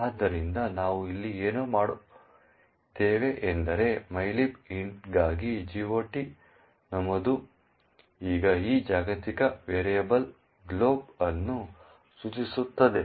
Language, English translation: Kannada, So, what we have done over here is that the GOT entry for mylib int now points to this global variable glob